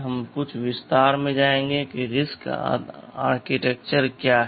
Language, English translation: Hindi, Now wWe shall go into some detail what a RISC architecture is and the design is pretty powerful